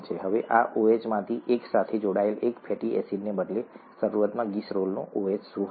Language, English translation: Gujarati, Now, instead of one fatty acid attached to one of this OH, what was initially OH of the glycerol